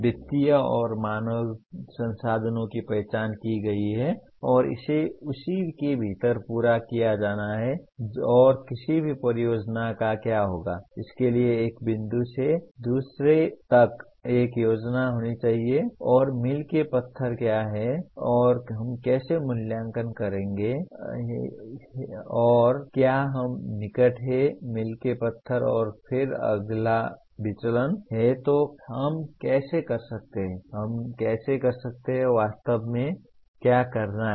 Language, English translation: Hindi, There are identified financial and human resources and it has to be completed within that and any project what will happen is, it has to have a plan from one point to the other and what are the milestones and how do we evaluate whether we are near the milestones and then if there are deviation how do we, how can we, what exactly is to be done to do that